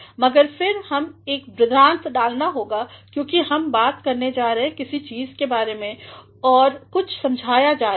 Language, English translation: Hindi, But, then we have put a colon because we are going to talk about something and something is being explained